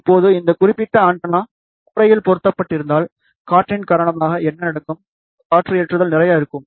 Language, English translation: Tamil, Now, think about if this particular antenna is mounted on the rooftop, what will happen because of the wind, there will be lot of wind loading will be there